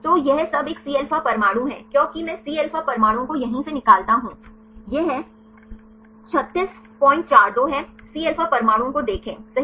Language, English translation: Hindi, So, all this is a Cα atoms because I extract the Cα atoms from here right; this is 36